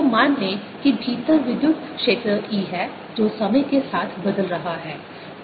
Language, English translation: Hindi, so let there be an electric field, e, inside which is changing with time